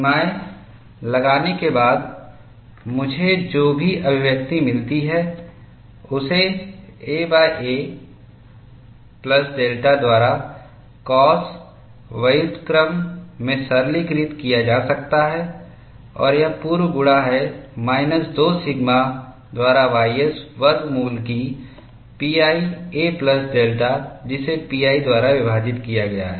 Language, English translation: Hindi, After putting the limits, whatever the expression I get, could be simplified to cos inverse a by a plus delta and this is pre multiplied by minus 2 sigma ys square root of pi a plus delta divided by pi